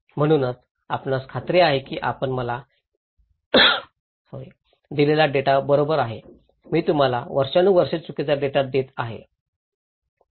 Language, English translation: Marathi, So, here is this that are you sure that data you gave me is correct, I have been giving you incorrect data for years